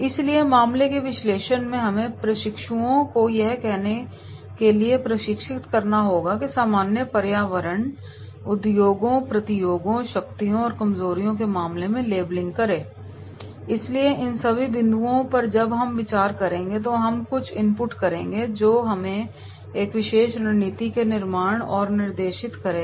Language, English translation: Hindi, So in case analysis we have to trained the trainees to say that make the labelling in their case of general environment industries, the competitors, the strengths and weaknesses, so all these 5 points then when we will be considering then we will come out some input which will be directing us towards the formulation of a particular strategy